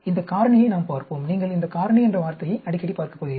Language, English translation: Tamil, We will look at these factorial, you are going to come across this word factorial quite often